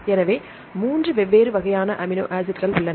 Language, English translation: Tamil, So, there are three different types of amino acids